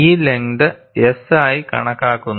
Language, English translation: Malayalam, This length is taken as S